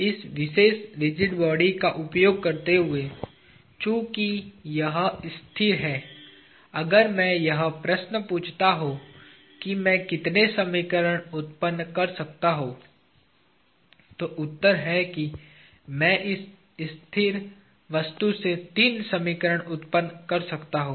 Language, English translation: Hindi, Using this particular rigid body, since it is stationary, if I ask the question how many equations can I generate, the answer is I can generate three equations from this stationary object